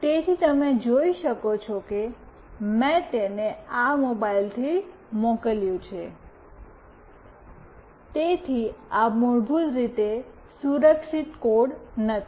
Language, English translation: Gujarati, So, you can see that I have sent it from this mobile, so this is not the secure code basically